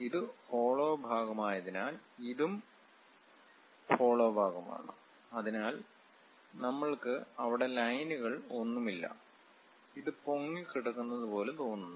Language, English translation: Malayalam, And because this is a hollow portion, this is also a hollow portion; so we do not have any lines there, it just looks like floating one